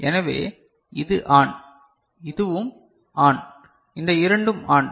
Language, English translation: Tamil, So, this is ON and this is also ON these two are also ON